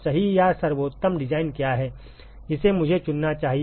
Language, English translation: Hindi, What is the correct or the optimum design that I should choose